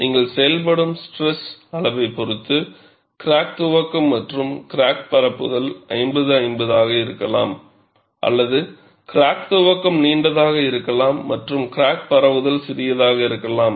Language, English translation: Tamil, Depending on which stress level that you operate, crack initiation and crack propagation could be 50 50, or crack initiation could be longer and crack propagation could be smaller